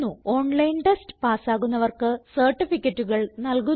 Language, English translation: Malayalam, Give certificates for those who pass an online test